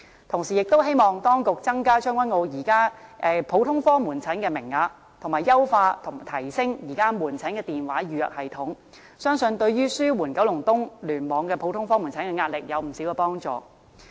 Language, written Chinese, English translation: Cantonese, 同時，亦希望當局增加將軍澳現時普通科門診的名額，以及優化和提升現有的門診電話預約系統，相信對於紓緩九龍東聯網的普通科門診的壓力會有所幫助。, At the same time I hope the authorities will increase the existing quota for general outpatient services in Tseung Kwan O and enhance and upgrade the existing general outpatient clinic telephone appointment system . I believe it will help relieve the pressure on the general outpatient clinics in KEC